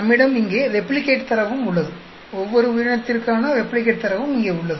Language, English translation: Tamil, We have the replicate data also here, replicate data for each one of the organism also here